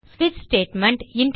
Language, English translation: Tamil, And switch statement